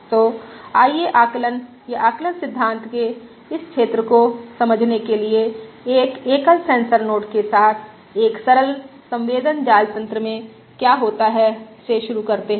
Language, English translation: Hindi, So let us start exploring this area of Estimation or Estimation theory by starting with what happens in a simple sensor network with a single sensor node